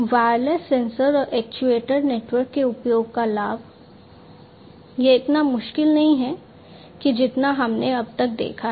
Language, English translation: Hindi, So, the advantage of use of wireless sensor and actuator network; is that it is not so difficult as we have seen so far